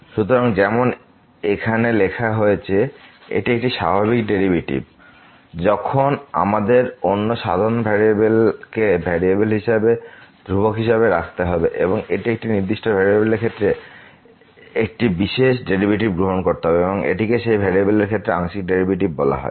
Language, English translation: Bengali, So, as written here it is a usual derivative, when we have to keep other independent variable as variables as constant and taking the derivative of one particular with respect to one particular variable and this is called the partial derivative with respect to that variable